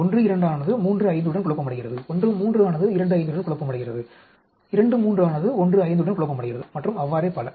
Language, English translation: Tamil, 12 is confounded with 35, 13 is confounded with 25, 23 is confounded with 15 and so on actually, right